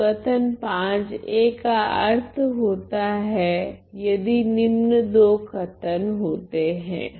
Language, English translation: Hindi, So, statement V makes sense if these two statement happens